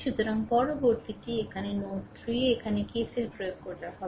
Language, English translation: Bengali, So, next is you apply here that the KCL here at node node 3